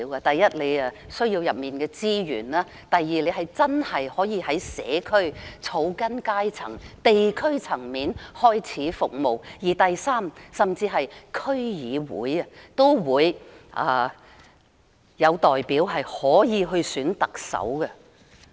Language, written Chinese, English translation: Cantonese, 第一，我們需要區議會的資源；第二，區議員可以真正在社區、草根階層和地區層面開始服務市民；第三，區議會甚至可以有代表選特首。, In fact it is an important event because first we need the resources of DCs; second DC members can truly serve people at the community grass - roots or district level as a start; and third certain DC representatives can even elect the Chief Executive